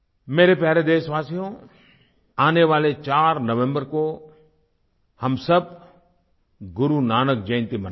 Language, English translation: Hindi, My dear countrymen, we'll celebrate Guru Nanak Jayanti on the 4th of November